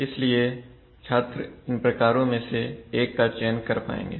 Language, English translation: Hindi, So the student should be able to select one of these types